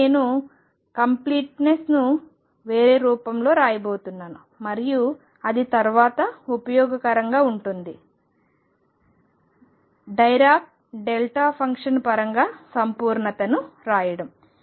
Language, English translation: Telugu, Now, I am going to write completeness in a different form and that is useful later, writing completeness in terms of dirac delta function